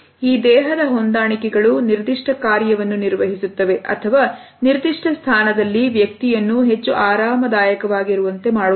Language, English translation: Kannada, These body adjustments perform either a specific function or they tend to make a person more comfortable in a particular position